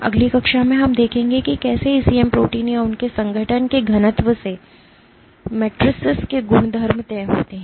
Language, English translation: Hindi, In the next class we will look at how properties of matrices are dictated by the density of ECM proteins or their organization